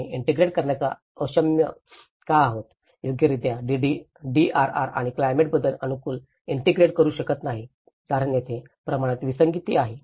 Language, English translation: Marathi, Why we are unable to integrate, properly integrate the DRR and the climate change adaptation because there are scale mismatches